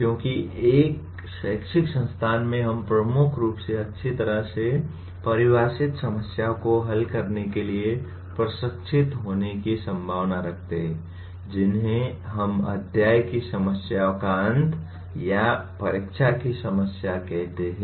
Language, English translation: Hindi, Because in an educational institution we are likely to get trained in solving dominantly well defined problems what we call end of the chapter problems or the kind of examination problems that we ask